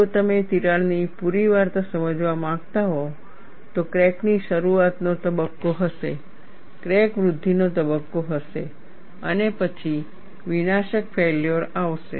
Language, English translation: Gujarati, If you want to understand the complete story of the crack, there would be a crack initiation phase, there would be a crack growth phase, followed by catastrophic failure